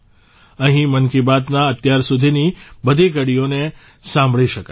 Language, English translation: Gujarati, Here, all the episodes of 'Mann Ki Baat' done till now can be heard